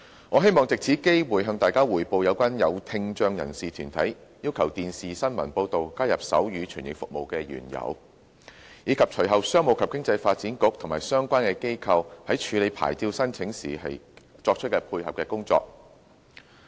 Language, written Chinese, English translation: Cantonese, 我希望藉此機會，向大家匯報有關有聽障人士團體要求電視新聞報道加入手語傳譯服務的原由，以及隨後商務及經濟發展局及相關機構在處理牌照申請時作出配合的工作。, Taking this opportunity I would like to report on the story behind the request made by deputations of people with hearing impairment for the provision of sign language interpretation service in television news broadcasts . I will also report on the follow - up work done by the Commerce and Economic Development Bureau and related organizations when handling the licence application